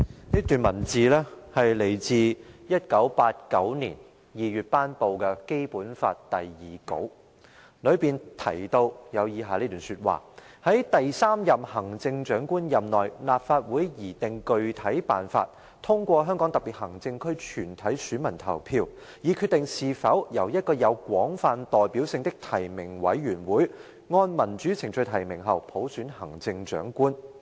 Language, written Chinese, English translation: Cantonese, 這段文字來自1989年2月頒布的《基本法》第二稿，當中提到以下這段話，"在第三任行政長官任內，立法會擬定具體辦法，通過香港特別行政區全體選民投票，以決定是否由一個有廣泛代表性的提名委員會按民主程序提名後，普選產生行政長官......, This paragraph that I am going to read out is taken from Version 2 of the draft Basic Law published in February 1989 and it goes as follows During the term of office of the third Chief Executive the Legislative Council shall formulate a specific method to decide through a referendum in the Region whether the Chief Executive shall be selected by general election after nominations are made by a broadly representative nominating committee in accordance with democratic procedures